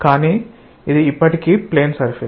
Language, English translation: Telugu, So, this is a plane surface